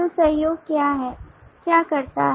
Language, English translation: Hindi, so what the collaboration does